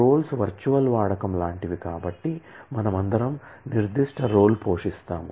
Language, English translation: Telugu, Roles are kind of like virtual use that so, we all say that we all play certain role